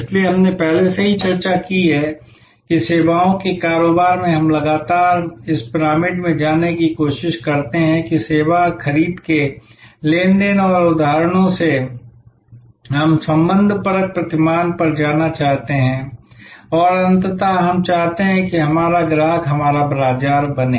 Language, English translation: Hindi, So, this we have already discussed that in services businesses we constantly try to go up this pyramid that from transactional instances of service procurement, we want to go to relational paradigm and ultimately we want our customer to become our marketer